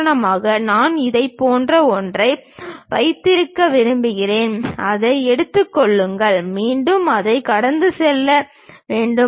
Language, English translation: Tamil, For example, I would like to have something like this, take that, again comes pass through that